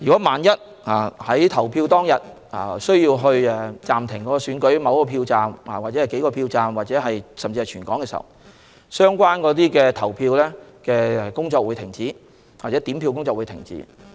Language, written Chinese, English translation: Cantonese, 萬一在投票當天需要暫停某個或數個票站，甚至發生涉及全香港的事情，相關投票工作或點票工作便會停止。, If it is necessary to adjourn poll at one or several polling stations and if incidents involving Hong Kong as a whole happen the relevant poll or count will be adjourned